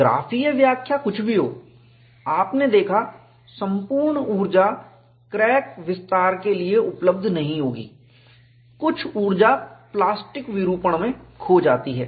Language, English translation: Hindi, Whatever the graphical interpretation you saw, all that energy will not be available for crack extension; some energy is lost in plastic deformation